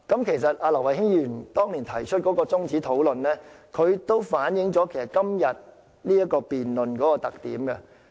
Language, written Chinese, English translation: Cantonese, 其實，劉慧卿議員當年提出中止討論，亦反映今天這項辯論的特點。, In fact the adjournment proposed by Ms Emily LAU back then also characterizes the debate today